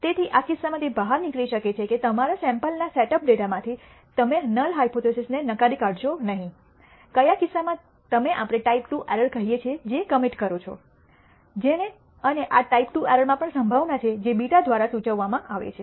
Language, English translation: Gujarati, So, in this case it may turn out that from your sample setup data you do not reject the null hypothesis, in which case you commit what we call a type II error and this type II error also has a probability which is denoted by beta